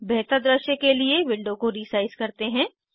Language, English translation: Hindi, Let me resize this window first